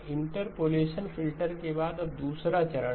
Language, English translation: Hindi, Now the second stage after the interpolation filter